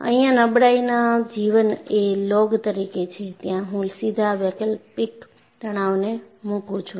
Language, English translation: Gujarati, I have log of fatigue life here; here I directly put the alternating stress